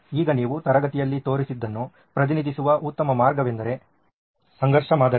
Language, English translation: Kannada, Now a better way of representing which you have seen me show in the classes is the conflict model